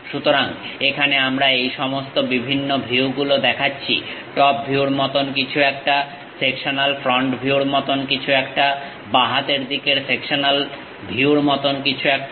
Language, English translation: Bengali, So, here we are showing all these different views; something like the top view, something like sectional front view, something like left hand sectional view